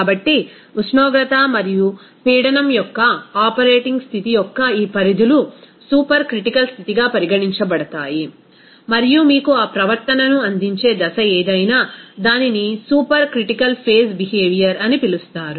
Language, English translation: Telugu, So, these ranges of that operating condition of temperature and pressure will be regarded as the supercritical condition and the phase whatever will give you that behavior it will be called as supercritical phase behavior